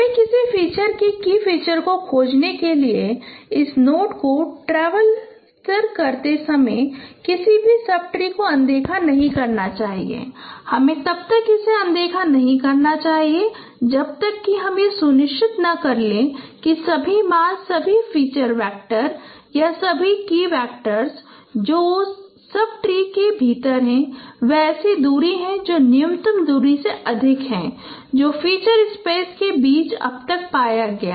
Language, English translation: Hindi, You should not ignore any subtree when while traversing this note for searching a feature, key feature, you should not ignore it unless you make sure that all the values all the all the feature vectors or all the key vectors within that sub tree there they are at a distance which is greater than the minimum distance what has been found so far among the feature space so that is why you have to store the current smallest distance and the respective key feature